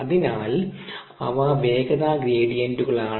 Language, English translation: Malayalam, so those are velocity gradients